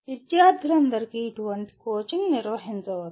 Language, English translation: Telugu, Such coaching can be organized for all the students